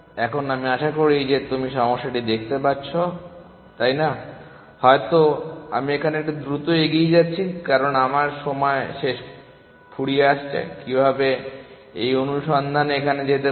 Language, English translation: Bengali, Now, I hope you see the problem isn’t it may be I am going a bit fast here just because I am running out of time, how can how can this search go here